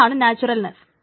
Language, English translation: Malayalam, So that's the naturalness